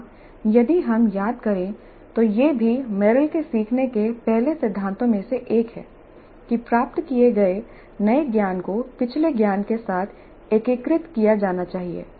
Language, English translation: Hindi, If we recall this is also one of the Merrill's first principles of learning that the new knowledge acquired must be integrated with the previous knowledge